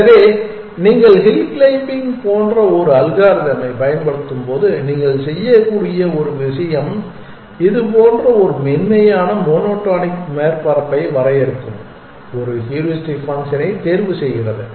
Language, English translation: Tamil, So, one thing that you can do when you are using an algorithm like hill climbing chooses a heuristic function which will define a smooth monotonic surface like this